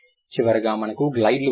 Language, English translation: Telugu, Finally, we have glides